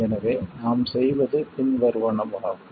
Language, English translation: Tamil, So what we do is the following